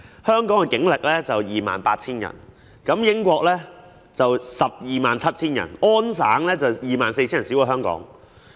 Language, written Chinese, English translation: Cantonese, 香港警力約 28,000 人，英國有 127,000 人，而加拿大安省則有 24,000 人，較香港少。, The manpower of the Hong Kong Police stands at 28 000 persons while that of the United Kingdom is 127 000 persons and that of Ontario Canada 24 000 persons which is smaller than Hong Kong